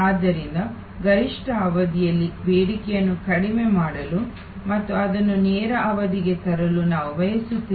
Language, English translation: Kannada, So, we want to reduce the demand during peak period and bring it to the lean period